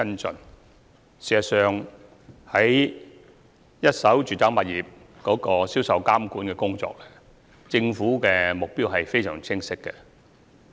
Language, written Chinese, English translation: Cantonese, 事實上，在一手住宅物業銷售監管的工作上，政府的目標非常清晰。, In fact the Governments objectives in regulating the sales of first - hand residential properties are crystal clear